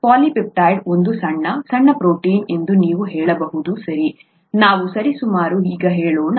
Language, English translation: Kannada, A polypeptide is a small, small protein you can say, okay let us say that for approximately now